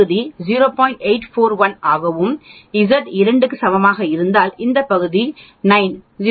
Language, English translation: Tamil, 841 and if Z is equal to 2 means then this area will be 9, 0